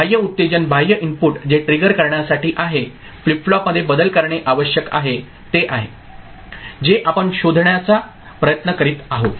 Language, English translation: Marathi, The external excitation, external input that is there to trigger, needed to make a change in the flip flop that is the that is what we are trying to figure out